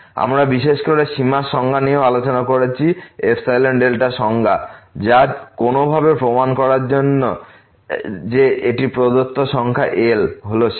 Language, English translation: Bengali, We have also discussed the definition of the limit in particular the epsilon delta definition which is very useful to prove somehow that a given number L is the limit